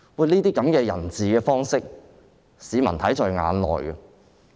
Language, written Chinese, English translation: Cantonese, 這種人治的方式，市民看在眼內。, Such rule of man is visible to members of the public